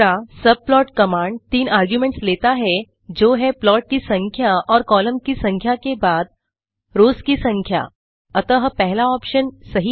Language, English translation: Hindi, The subplot command takes three arguments namely the number of rows followed by the number of columns and the plot number